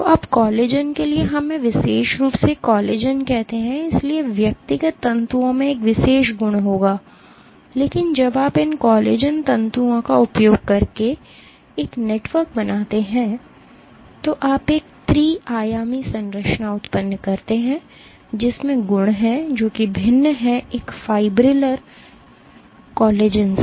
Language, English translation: Hindi, So, now, for collagen let us say collagen in particular, so, individual fibrils will have one particular property, but when you make a network using these collagen fibrils, you will generate a three dimensional structure which has properties which are distinct than the properties of individuals fibril collagens